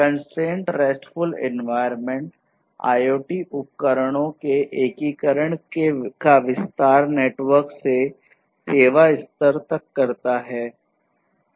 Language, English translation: Hindi, And CoRE; Constrained RESTful Environment extends the integration of IoT devices from networks to the service level